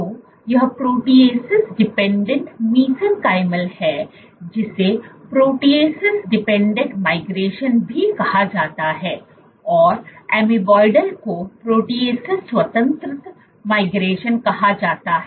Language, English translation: Hindi, So, this is protease dependent mesenchymal is also called protease dependent migration, to protease independent type of migration